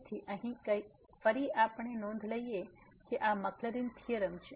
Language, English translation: Gujarati, So, here again we note that this is the Maclaurin’s theorem